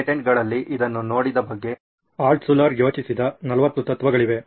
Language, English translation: Kannada, There are 40 principles that Altshuller thought about saw this in the patents